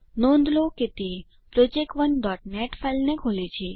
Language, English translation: Gujarati, Notice that it opens project1.net file